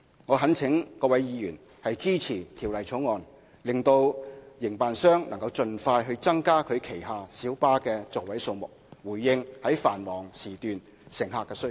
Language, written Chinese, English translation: Cantonese, 我懇請各位議員支持《條例草案》，讓營辦商能夠盡快增加旗下小巴的座位數目，以回應繁忙時段的乘客需求。, I call on Members to support the Bill which will enable operators to increase the seating capacity of their light buses so as to meet passenger demand during peak periods